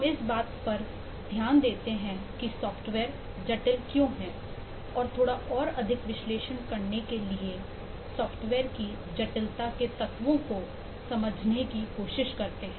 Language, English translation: Hindi, in this module we look at what is the complexity of software, that is, we take a look at why software is complex and, to analyze little bit more, we try to understand the elements of the complexity of a software